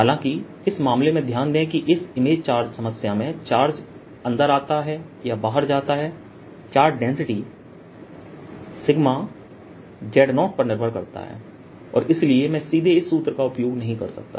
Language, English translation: Hindi, however, notice, in this case, the image charge problem: as charge comes in or goes out, the charge density sigma depends on z zero and therefore i cannot use this formula directly